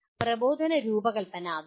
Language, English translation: Malayalam, That is what instructional design is